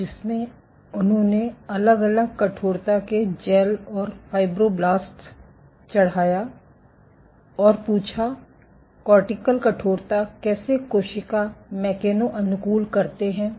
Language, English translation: Hindi, So, in which he plated fibroblasts on gels of varying stiffness and asked, how does cortical stiffness how do the cell mechano adapt